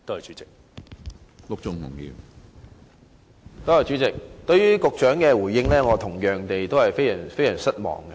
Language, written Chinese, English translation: Cantonese, 主席，我同樣對局長的回應非常失望。, President I am also very disappointed with the Secretarys reply